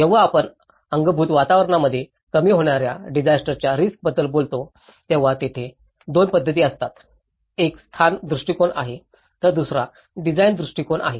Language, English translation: Marathi, When we talk about the reducing disaster risks in the built environment, there are 2 approaches to it; one is the location approach, the second one is the design approach